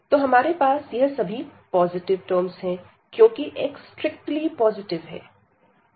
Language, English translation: Hindi, So, we have all these positive term whether x is strictly positive